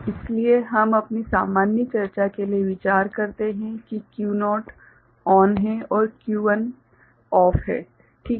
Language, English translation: Hindi, So, we consider for our general discussion that Q naught is ON and Q1 is OFF ok